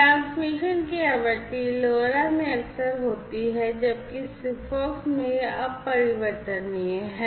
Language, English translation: Hindi, The frequency of transmission is frequent in LoRa whereas, in SIGFOX it is infrequent